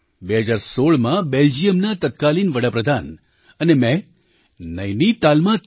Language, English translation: Gujarati, In 2016, the then Prime Minister of Belgium and I, had inaugurated the 3